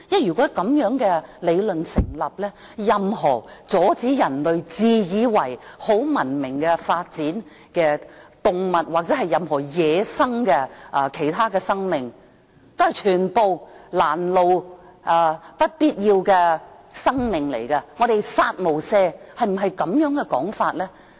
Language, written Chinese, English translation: Cantonese, 如果這樣的理論也成立，那麼，任何阻礙人類自以為很文明的發展的動物或任何其他野生的生命，全都是攔路、不必要的生命，我們要"殺無赦"，是否應這樣說呢？, If such an argument stands then any animals or wildlife hindering the civilized development of the self - righteous human beings are unnecessary lives standing in the way . We have to kill them all . Should it be put this way?